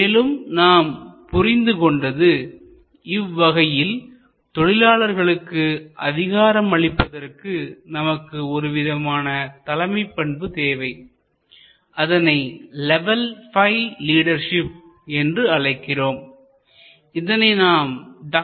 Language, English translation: Tamil, And we understood that to achieve this employee empowerment, we need a kind of leadership which we call the level five leadership which is so well depicted in the biography of Dr